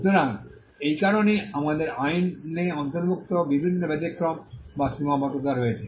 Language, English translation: Bengali, So, that is the reason why we have various exceptions and limitations included in the law